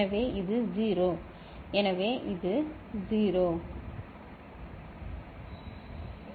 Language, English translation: Tamil, So, this is 0; so this is 0